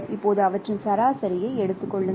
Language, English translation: Tamil, So you simply take the average